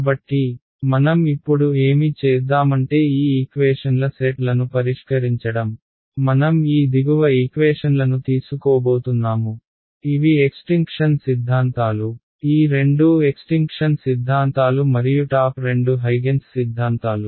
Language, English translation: Telugu, So, what I will do is now to solve these sets of equations, I am going to take these bottom equations these were the extinction theorems; both of these were extenction theorems and both the top ones were the Huygens theorems